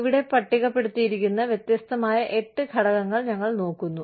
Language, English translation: Malayalam, We look at these, different 8 factors, that have been listed here